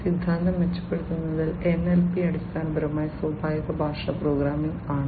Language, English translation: Malayalam, In theory improving in NLP, NLP is basically Natural Language Processing